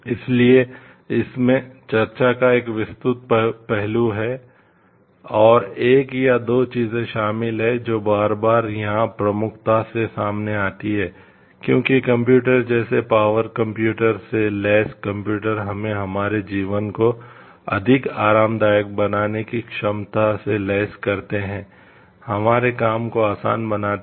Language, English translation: Hindi, So, it involves a wide facet of discussion and 1 or 2 things which comes up prominently again and again over here, because computers equip us with power, computer equips us with the capability to make our life more comfortable, make our work easy